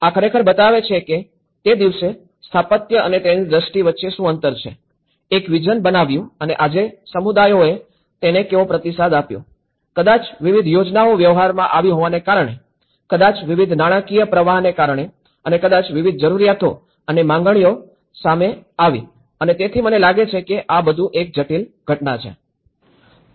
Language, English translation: Gujarati, So, this actually shows that there is also some gap between what the architecture on that day a vision; made a vision and today how communities have responded to it, maybe due to various schemes coming into the practice, maybe due to the various financial inflows and maybe various needs and demands coming into, so I think this is all a very complex phenomenon